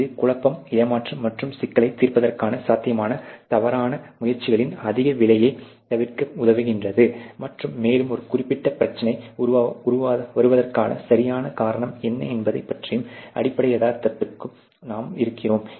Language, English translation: Tamil, So, this helps in avoiding confusion frustration and high cost of possible misdirected efforts to solve the problem, and 0 you down to the actual ground reality as to what is the exact cause of a certain problem coming in